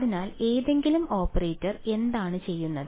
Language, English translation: Malayalam, So, what does any operator do